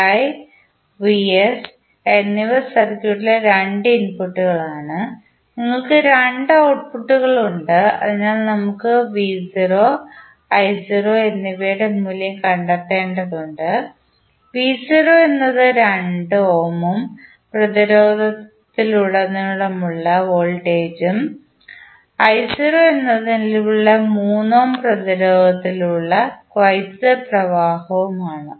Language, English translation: Malayalam, vs and vi are the two inputs in the circuit and we have two outputs so we need to find the value of v naught and i naught, v naught is the voltage across 2 ohm resistance and i naught is the current following through the 3 ohm resistance